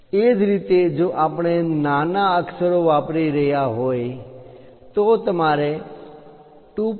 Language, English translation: Gujarati, Similarly, if we are using lowercase letters, then one has to use 2